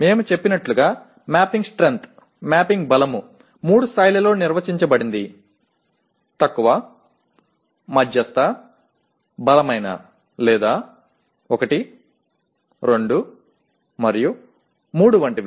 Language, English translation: Telugu, As we said the mapping strength is defined at 3 levels; low, medium, strong or 1, 2, 3 like that